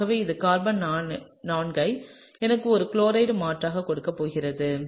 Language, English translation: Tamil, So, that gives me the carbon 4 is going to have a chloride substituent on it